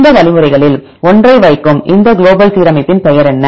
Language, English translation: Tamil, What is the name of this global alignment put one of this algorithms